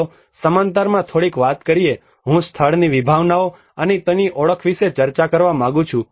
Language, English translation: Gujarati, Let us talk a little bit of the in parallel I would like to discuss about the concepts of place and its identity